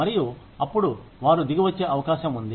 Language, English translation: Telugu, And then, they are likely to come down